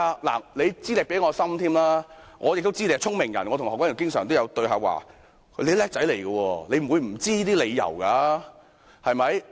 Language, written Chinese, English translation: Cantonese, 你的資歷比我深，我亦知道你是聰明人——我與何君堯議員也經常有對話——你是"叻仔"，不會不知道這些理由的，對嗎？, You possesses better qualifications and I also understand that you are a smart person―I also have frequent dialogue with Dr Junius HO―you are smart and should be familiar with all the explanations you can use is that right?